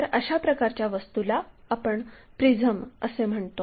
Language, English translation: Marathi, Similarly, there are different kind of objects which are called prisms